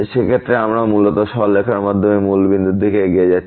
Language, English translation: Bengali, In that case we are basically approaching to origin by the straight line